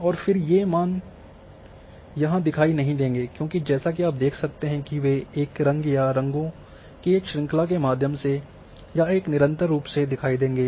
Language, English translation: Hindi, And then values are not visible as such they will be visible through a colour or a range of colours or in a continuous fashion